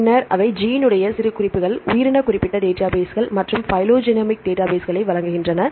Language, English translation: Tamil, Then also they provide genome annotations, organism specific database as well as the phylogenomic databases